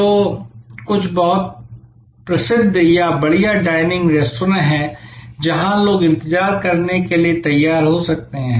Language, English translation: Hindi, So, there are some very famous or fine dining restaurants, where people may be prepared to wait